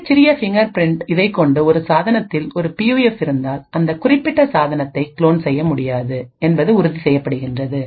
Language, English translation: Tamil, And with a very small fingerprint and also it is ensured that if a PUF is present in a device then that particular device cannot be cloned